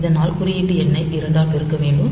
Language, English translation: Tamil, You see it is a multiplication by 2